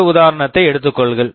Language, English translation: Tamil, Take another example